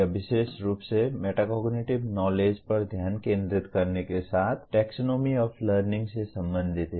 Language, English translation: Hindi, It is related to Taxonomy of Learning particularly with focus on Metacognitive Knowledge